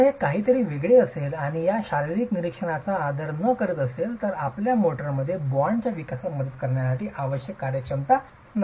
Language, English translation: Marathi, If it is anything different and not respecting these physical observations, your motor may not necessarily have the necessary workability to help you with development of the bond